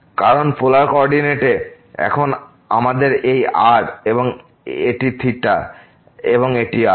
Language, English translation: Bengali, Because in the polar coordinate, now we have this and this is theta and this is